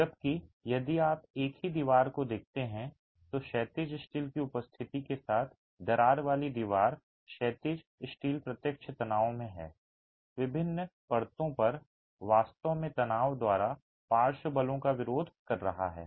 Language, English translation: Hindi, Whereas if you look at the same wall, the cracked wall with the presence of horizontal steel, the horizontal steel is in direct tension, is at different layers actually resisting the lateral forces by tension